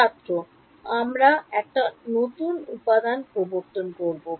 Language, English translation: Bengali, We introduce new components